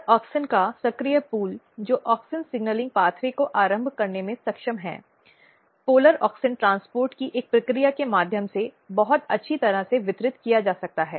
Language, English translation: Hindi, And then the active pool of auxin which is basically able to initiate auxin signalling pathway can be distributed very properly through a process of polar auxin transport